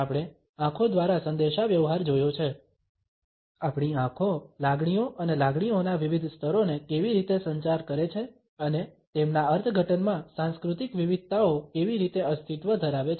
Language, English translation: Gujarati, We have looked at communication through eyes, the way our eyes communicate different levels of feelings and emotions, and how the cultural variations in their interpretation exist